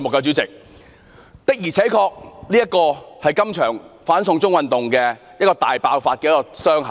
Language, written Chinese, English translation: Cantonese, 主席，"六一二"事件確實是這場"反送中"運動的第一道傷口。, President the 12 June incident was the first wound in the anti - extradition to China movement